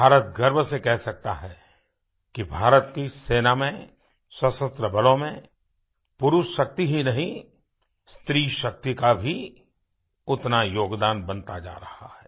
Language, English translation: Hindi, Indian can proudly claim that in the armed forces,our Army not only manpower but womanpower too is contributing equally